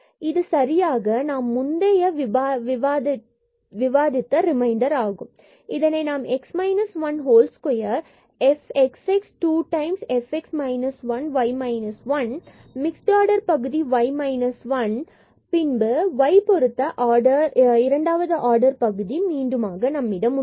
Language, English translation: Tamil, So, x minus 1 whole square and this will be the second order term f xx 2 times f x minus 1 y minus 1, the mixed order term and y minus 1 is square and then we will have here again the second order term with respect to y